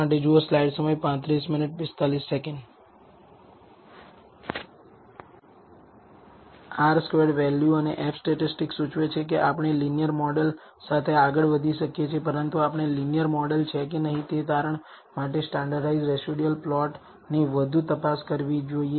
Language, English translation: Gujarati, R squared value and the f statistics seems to indicate that we can go ahead with the linear model, but we should further examine the standardized residual plot for concluding whether the linear model is or not